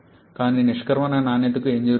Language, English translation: Telugu, But what is happening to the exit quality